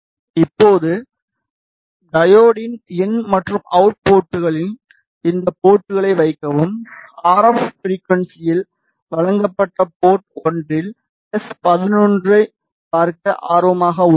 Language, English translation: Tamil, Now, simply put ports at the in and out ports of the diode, and we are interested in looking at the s 11 at port 1 provided at the RF frequency